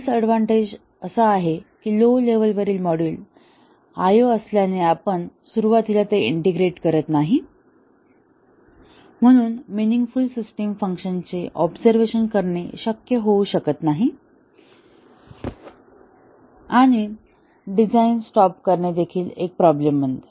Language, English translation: Marathi, The disadvantage is that since the low level modules are I/O and we do not integrate it in the beginning, so observing meaningful system functions may not be possible to start with and also stop design becomes a problem